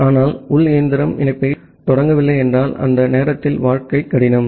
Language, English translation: Tamil, But if the internal machine is not initiating the connection, during that time the life is difficult